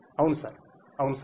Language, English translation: Telugu, Yes sir, yes sir